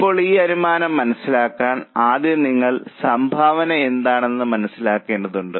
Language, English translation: Malayalam, Now, to understand this ratio, first of all you have to understand what is contribution